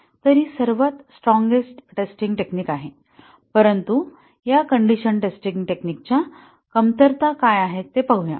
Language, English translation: Marathi, So, that is are the strongest testing, but let us see what the shortcomings of this condition testing techniques